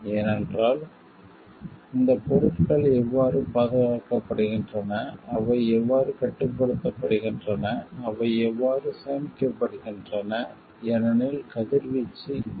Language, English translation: Tamil, Because how these materials are protected how they are controlled how they are stored because radiations may happen